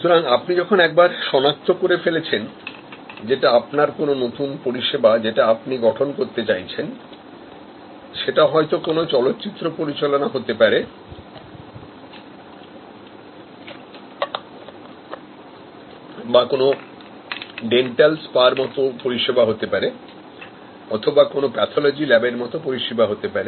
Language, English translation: Bengali, Now, once you have identified that, whether it is your new service that you are trying to configure, whether it is like a movie making type of service or like a dental spa type of service or a pathology lab type of service